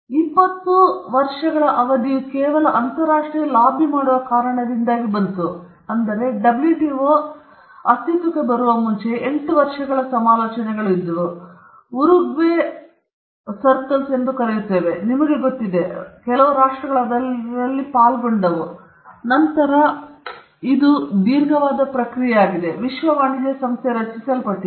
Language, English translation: Kannada, 20 year period came in because of some international lobbying because WTO, before it came into being, there were 8 years of negotiations, what we call the Uruguay rounds, you know, countries participated in it, and it was a long drawn process after which the World Trade Organization was formed